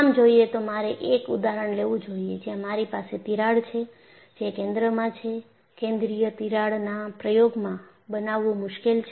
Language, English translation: Gujarati, Ideally,I should have taken example where I have a crack, which is at the center; center of the crack is difficult to make in an experiment